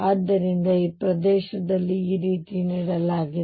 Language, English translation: Kannada, So, in this region which is given like this